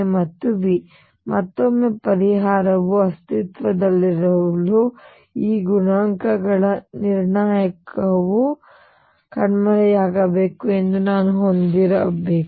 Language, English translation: Kannada, And again for the solution to exist I should have that the determinant of these coefficients must vanish